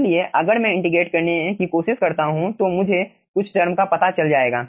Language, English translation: Hindi, so if i try to integrate, then i will be finding out few terms will be coming out quickly